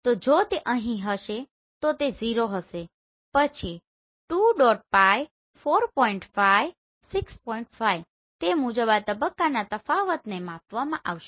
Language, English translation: Gujarati, So if it is here then it will be 0 then 2 pi, 4 pi, 6 pi accordingly this phase difference will be measured